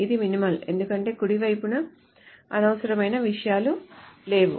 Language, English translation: Telugu, This is minimal because we don't have unnecessary things in the right side